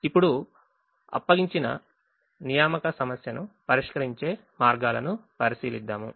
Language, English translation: Telugu, now we will look at ways of solving the assignment problem now